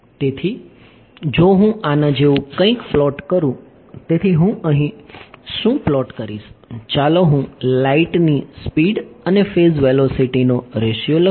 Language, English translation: Gujarati, So, if I plot something like this; so, what will I plot over here, let me plot the ratio of the phase velocity to speed of light ok